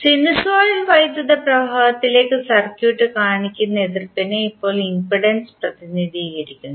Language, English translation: Malayalam, Now impedance represents the opposition that circuit exhibits to the flow of sinusoidal current